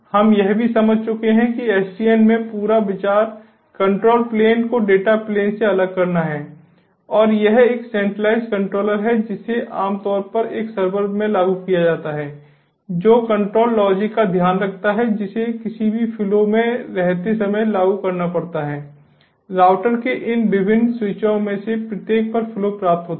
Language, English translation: Hindi, we have also understood that in sdn, the whole idea is to separate the control plane from the data plane and there is a centralized controller, which is typically implemented in a server, that takes care of the control logic that has to be implemented while any flow in any flow is received at each of these different switches of the routers